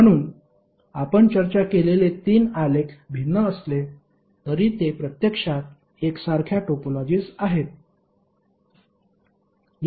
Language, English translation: Marathi, So although the three graphs which we discussed are different but they are actually the identical topologies